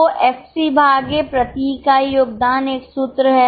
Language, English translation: Hindi, So, FC upon contribution per unit is a formula